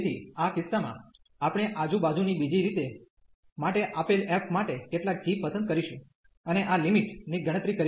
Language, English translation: Gujarati, So, in this case we will choose some g for given f for the other way around, and compute this limit